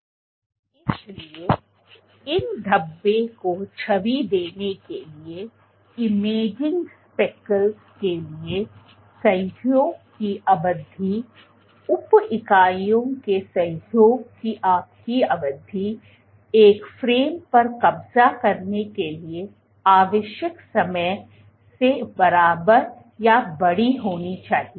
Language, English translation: Hindi, So, in order to image these speckles, the duration of association, for imaging speckles, for imaging speckles your duration of association of the sub units must be equal or larger than the time required for capturing a frame